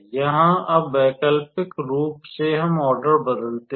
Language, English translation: Hindi, So, alternatively now let us change the order